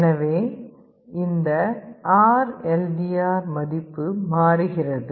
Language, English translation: Tamil, So, this RLDR value is changing